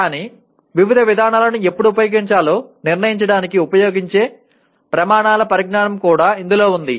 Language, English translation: Telugu, But it also includes the knowledge of criteria used to determine when to use various procedures